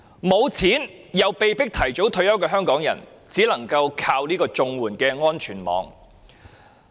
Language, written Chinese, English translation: Cantonese, 沒有錢而又被迫提早退休的香港人，只能依靠綜援這個安全網。, Hong Kong people with no money and forced to retire early can only depend on the CSSA safety net